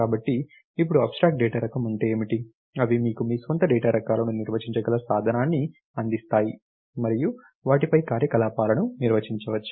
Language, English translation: Telugu, So, now what is the abstract data type are, they give you tool by which you can define your own data types, and define operations on them